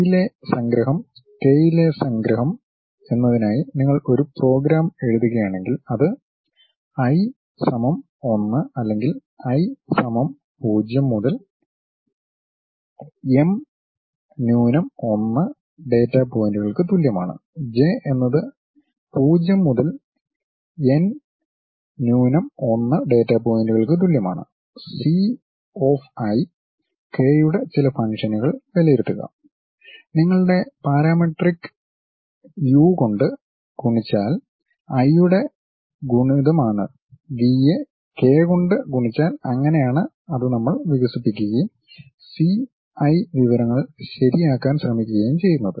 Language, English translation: Malayalam, Summation on i, summation on k it is more like if you are writing a program for i is equal to 1 to or for i is equal to 0 to m minus 1 data points; for j is equal to 0 to n minus 1 data points, evaluate some function c of i comma k multiplied by your parametric u of i multiplied by v of k that is the way we expand that and try to fix c i informations